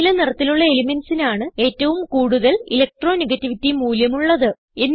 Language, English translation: Malayalam, Elements with blue color have highest Electronegativity values